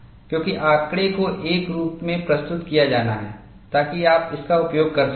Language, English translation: Hindi, Because data has to be presented in a form, that you can use it